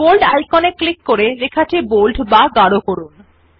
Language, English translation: Bengali, Now click on the Bold icon to make the text bold